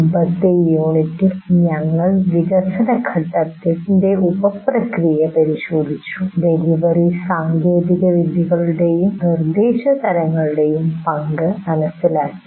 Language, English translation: Malayalam, And we looked at in the previous one, the sub processes, we identified the sub processes of development phase and understood the role of delivery technologies and instruction types